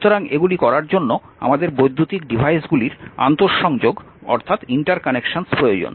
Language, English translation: Bengali, So, to do these we require in interconnections of electrical devices right